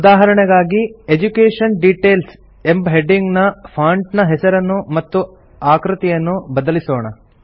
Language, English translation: Kannada, For example, let us give the heading, Education Details a different font style and font size